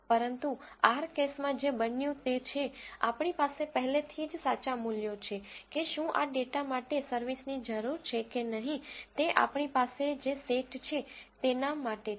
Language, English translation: Gujarati, But in R case what happened is, we already have the true values whether service is needed or not for this data set what we have